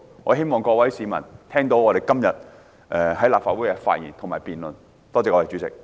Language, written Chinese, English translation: Cantonese, 我希望各位市民能聽到我們今天在立法會上的發言和辯論。, I do hope members of the public have listened to our speeches and arguments delivered at the Council meeting today